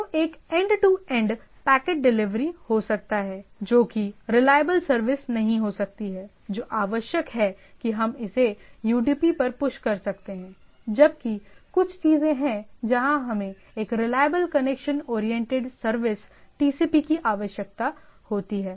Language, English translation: Hindi, So, one may be the end to end packet delivery which may not be that reliable service required we can push it to UDP; whereas, there are some of the things where we require a reliable connection oriented service TCP